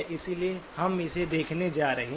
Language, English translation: Hindi, So that is what we are going to be looking at